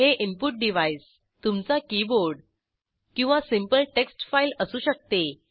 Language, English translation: Marathi, * The input device can be *your keyboard * or a simple text file